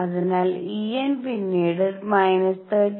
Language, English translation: Malayalam, So, E n is minus 13